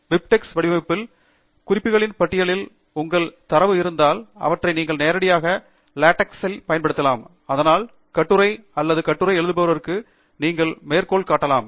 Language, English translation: Tamil, And if you have your data on the list of references in BibTeX format, then you can use them directly in LaTeX, so that you can add citations to the article or the thesis that you are writing